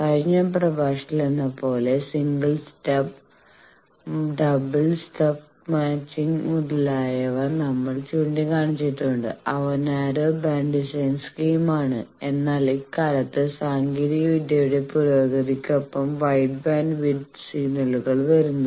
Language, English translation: Malayalam, As in the last lecture, we have pointed out single stuff, double stuff matching, etcetera they are narrow band designs scheme, but nowadays with the improvement of technology, wide bandwidth signals are coming